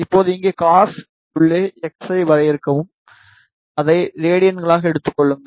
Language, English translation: Tamil, Now, just define x here this angle inside cos, it take it as radians